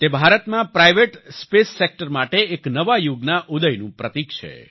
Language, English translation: Gujarati, This marks the dawn of a new era for the private space sector in India